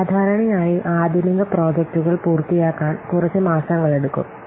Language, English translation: Malayalam, So normally the modern projects typically takes a few months to complete